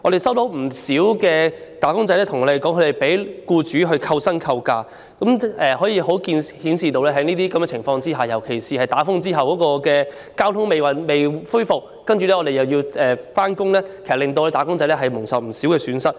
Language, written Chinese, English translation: Cantonese, 不少"打工仔"均向我們反映，他們被僱主扣薪或扣假，可見在這些情況下，特別是在颱風過後，當公共交通服務仍未恢復，但僱員卻須如常上班時，"打工仔"便會蒙受若干損失。, Many of them have relayed to us that their wages and leave days were deducted by their employers as a result . It can thus be seen that when employees have to go to work as usual under such circumstances particularly in the aftermath of a typhoon where public transport services have yet to resume they may have to suffer certain losses